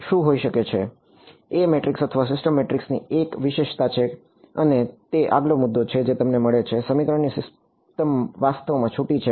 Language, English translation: Gujarati, There is a speciality of the A matrix or the system matrix and that is the next point the system of equation that you get is actually sparse ok